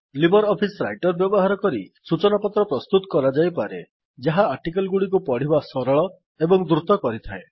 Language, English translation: Odia, Using LibreOffice Writer one can create newsletters which make reading of articles much easier and faster